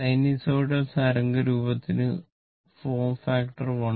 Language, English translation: Malayalam, So, for sinusoidal waveform the form factor is 1